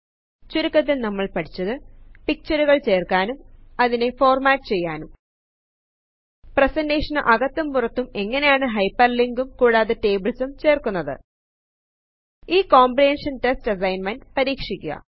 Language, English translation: Malayalam, To summarize, in this tutorial, we learnt how to:Insert Pictures and format them Hyperlink within and outside the presentation and Insert Tables Try this comprehension test assignment